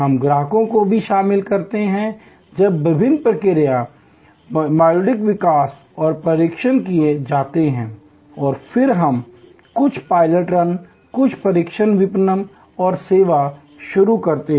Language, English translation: Hindi, We also involve the customers, when the different process modules are developed and tested and then, we do some pilot runs, some test marketing and launch the service